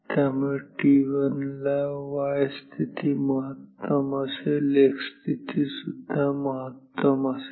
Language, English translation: Marathi, So, at t 1 a y position will be maximum x position will also be maximum